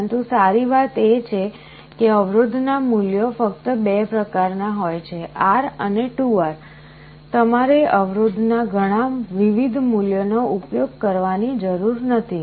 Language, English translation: Gujarati, But the good thing is that the values of the resistances are only of 2 types, R and 2 R, you do not need to use many different values of the resistances